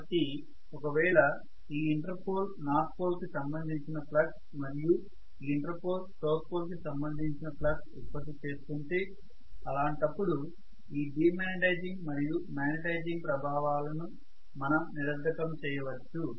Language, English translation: Telugu, So if this inter pole is rather creating a flux corresponding to north pole and if this inter pole is creating a flux corresponding to south pole in all probability I would nullify the effect of this de magnetizing and magnetizing armature reaction, right